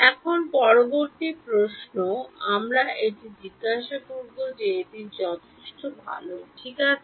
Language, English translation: Bengali, Now, the next question we will ask that is it good enough ok